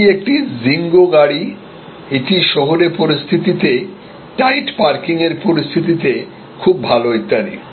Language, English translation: Bengali, It is a Zingo car, it is very good in the urban, tight parking situation and so on